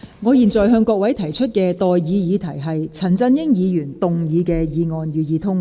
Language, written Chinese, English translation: Cantonese, 我現在向各位提出的待議議題是：陳振英議員動議的議案，予以通過。, I now propose the question to you and that is That the motion moved by Mr CHAN Chun - ying be passed